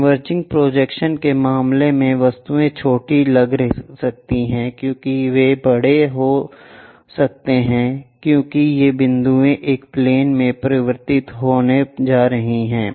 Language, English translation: Hindi, In the case of converging projections, the objects may look small may look large because this points are going to converge on to a plane